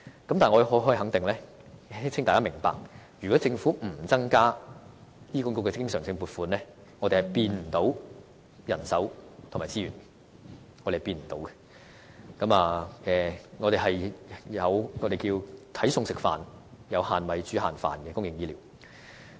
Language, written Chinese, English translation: Cantonese, 可是，我可以肯定，亦請大家明白，如果政府不增加對醫管局的經常性撥款，我們是看不到可以增加到人手和資源的，而只能有"睇餸食飯"，即"有限米，煮限飯"的公營醫療服務。, However I can assure that there is no way HA can enhance its manpower and resources without any additional recurrent funding from the Government . HA can merely endeavour to provide public health care services to the greatest extent possible within the limits of its resources